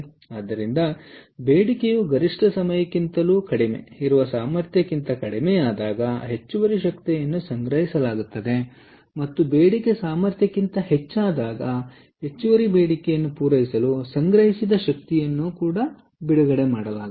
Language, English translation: Kannada, so when the demand is less than capacity ok, which is off peak hours, the excess energy will be stored, and when the demand is greater than the capacity, the stored energy will be released, ok, to meet the additional demand